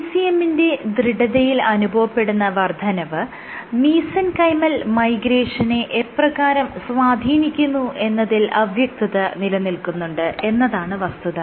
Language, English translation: Malayalam, So, what was also not clear is how is ECM stiffness regulating mesenchymal migration